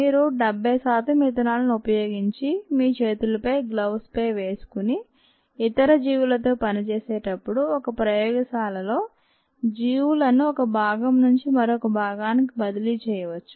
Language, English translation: Telugu, you could use seventy percent ethanol to kill the organisms in on your hands, on your gloves and so on, so forth, while working with um organisms, while transferring organisms from one part to another in a lab